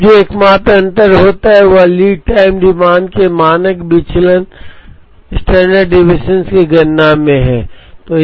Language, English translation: Hindi, Now the only difference that happens is in the computation of the standard deviation of the lead time demand